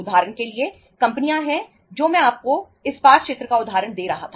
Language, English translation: Hindi, There are the companies for example I was giving you the example of the steel sector